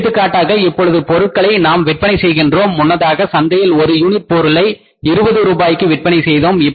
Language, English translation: Tamil, For example now we are selling the product, earlier we were selling the product per unit in the market say for how much 20 rupees per unit